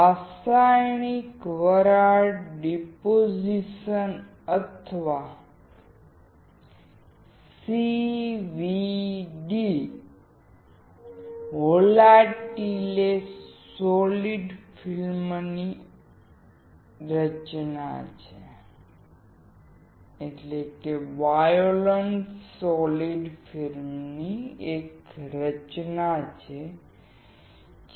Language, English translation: Gujarati, Chemical vapor deposition or CVD, is a formation of non volatile solid film